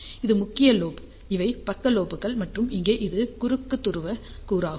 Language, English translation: Tamil, So, this is main lobe, these are the side lobes and this one here is the cross polar component